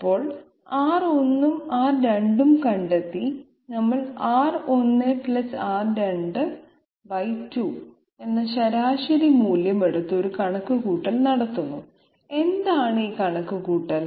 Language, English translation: Malayalam, So having found out R 1 and R 2 we take the mean value R 1 + R 2 by 2 and do a calculation, what is this calculation